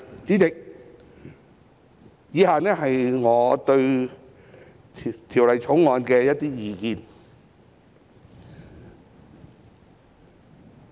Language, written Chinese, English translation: Cantonese, 主席，以下是我對《條例草案》的一些意見。, President the following are some of my views on the Bill